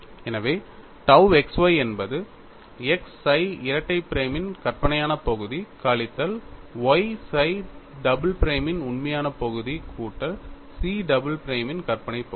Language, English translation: Tamil, So, tau xy becomes x imaginary part of psi double prime minus y real part of psi double prime plus imaginary part of chi double prime